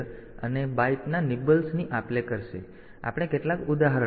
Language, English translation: Gujarati, So, we will see some example